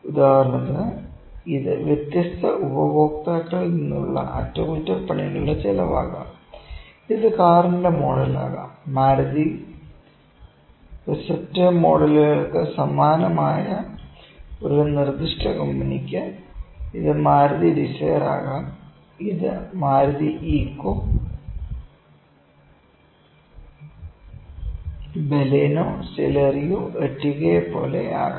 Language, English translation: Malayalam, So, in example can be this is cost of maintenance from different customers and this can be the model of car, for a specific company with same for Maruti receptor models it is it can be Maruti dzire, it can be Maruti, Eeco, Baleno, Celerio, Ertiga like those